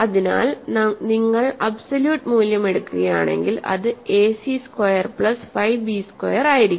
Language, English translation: Malayalam, So, if you take the absolute value it will be a c squared plus 5 b squared